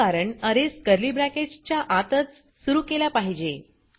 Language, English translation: Marathi, This is because arrays must be initialized within curly brackets